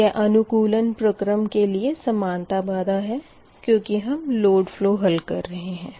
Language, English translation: Hindi, so therefore they are equality constraints in the optimization process, because you are solving load flow